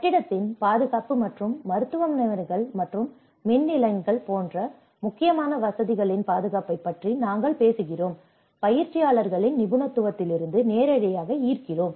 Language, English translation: Tamil, That is where we talk about the building safety and the protection of critical facilities such as hospitals and power stations and draws directly from the expertise of the practitioners